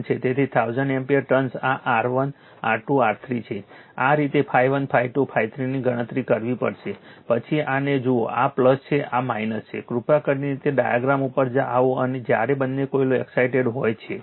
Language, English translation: Gujarati, So, 1000 ampere ton this is R 1 R 2 R 3, this way you have to compute phi 1 phi 2 phi 3, then look at this one this is plus, this is minus right like you please come to that diagram, when both the coils are excited